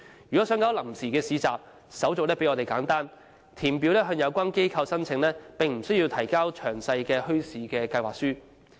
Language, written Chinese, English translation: Cantonese, 如果想辦臨時市集，手續比我們簡單，只需填表向有關機構申請，而不需要提交詳細的墟市計劃書。, Should one plan to set up a temporary market the procedure is much simpler than ours . The organizer is only required to fill out an application form and hand it to the relevant authorities . He does not have to submit a detailed proposal on the bazaar